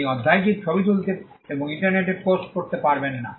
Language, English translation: Bengali, You cannot take a photograph of the chapter and post it on the internet